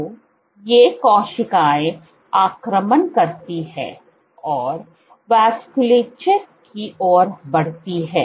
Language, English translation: Hindi, So, these cells invade and move towards the vasculature